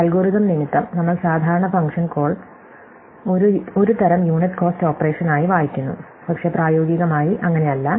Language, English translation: Malayalam, For the sake of algorithms, we typically read function call as kind of unit cost operation, but in practice, it is not the case